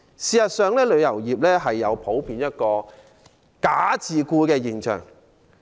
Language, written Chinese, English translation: Cantonese, 事實上，旅遊業普遍存在一個"假自僱"現象。, In fact false self - employment is common in the travel industry